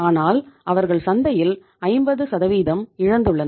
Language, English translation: Tamil, But they have lost 50% of the market